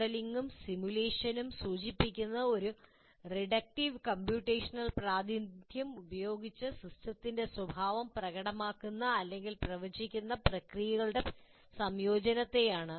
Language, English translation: Malayalam, And modeling and simulation are referred to a combination of processes in which a system's behavior is demonstrated or predicted by a reductive computational representation